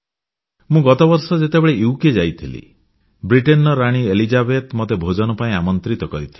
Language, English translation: Odia, During my past UK visit, in London, the Queen of Britain, Queen Elizabeth had invited me to dine with her